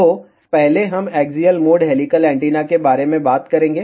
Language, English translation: Hindi, So, first we will talk about axial mode helical antenna